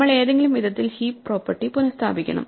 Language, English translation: Malayalam, So, we have to restore the heap property in some way